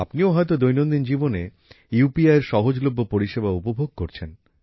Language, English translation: Bengali, You must also feel the convenience of UPI in everyday life